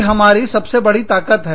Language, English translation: Hindi, And, that is our biggest strength